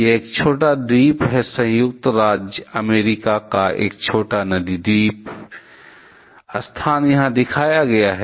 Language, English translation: Hindi, It was a small island, a small river island of United States; the location is shown here